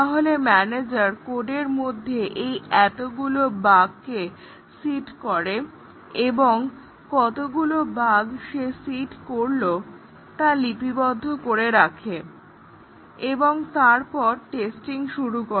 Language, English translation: Bengali, So, the manager seeds the code with this many bugs and he keeps a note of that, how many bugs he has seeded in the code